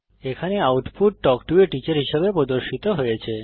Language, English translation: Bengali, Here the output is displayed as Talk to a teacher